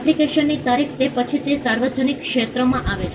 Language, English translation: Gujarati, Date of application, after which it falls into the public domain